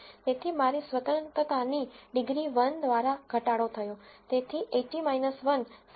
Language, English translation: Gujarati, So, my degrees of freedom reduced by 1, so 80 minus 1, 79